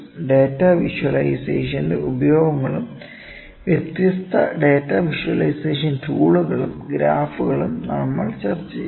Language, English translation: Malayalam, And also we discussed the uses of the data visualization and different data visualisation tools or graphs that we can use